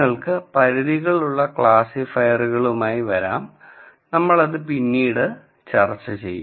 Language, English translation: Malayalam, You could come up with classifiers which are bounded also we will discuss that later